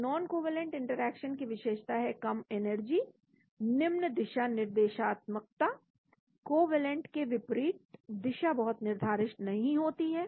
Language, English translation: Hindi, So non covalent interactions are characterized by low energies poor directionality, direction is not very fixed unlike the covalent